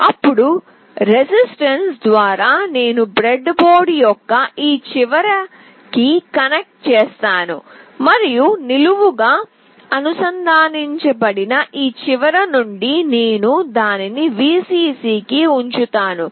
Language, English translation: Telugu, Then through a resistance, I connect to this end of the breadboard and from this end that is vertically connected, I will put it to Vcc